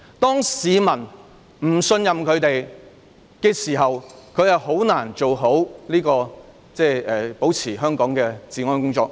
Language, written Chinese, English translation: Cantonese, 當市民不信任警方時，他們很難做好維持香港治安的工作。, Without public trust it would be very difficult for the Police to effectively carry out work of maintaining public order in Hong Kong